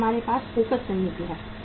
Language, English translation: Hindi, Then we have focus strategy